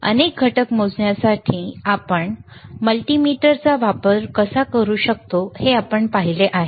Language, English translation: Marathi, We have seen how we can use a multimeter to measure several components